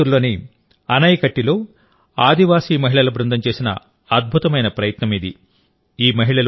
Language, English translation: Telugu, This is a brilliant effort by a team of tribal women in Anaikatti, Coimbatore